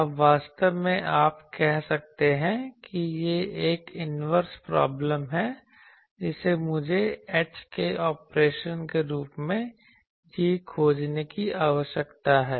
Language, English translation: Hindi, Now doing these actually you can say this is an inverse problem that I need to find g as a operation of h